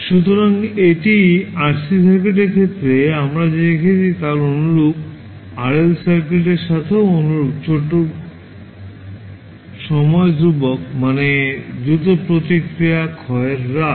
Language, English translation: Bengali, So, this is similar to what we saw in case of RC circuit so similar to that in RL circuit also the small time constant means faster the rate of decay of response